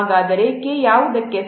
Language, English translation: Kannada, So, K is equal to what